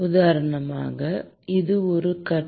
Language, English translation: Tamil, For example, it can occur in one phase